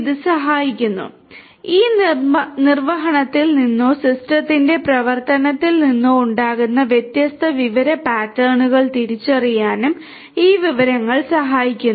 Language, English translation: Malayalam, It also helps, this information also helps in identifying different information patterns that emerge out of this execution or the running of the system